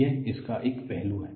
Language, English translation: Hindi, This is one aspect of this